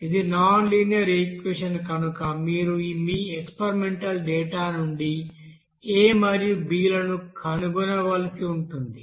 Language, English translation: Telugu, So this is nonlinear equation, you have to find out this a and b from your experimental data